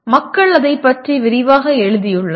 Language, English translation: Tamil, People have written extensively about that